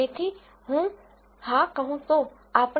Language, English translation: Gujarati, So, I could have yes let us say 0